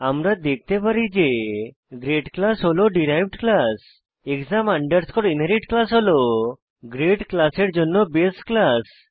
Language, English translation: Bengali, Class grade is the derived class And class exam inherit is the base class for class grade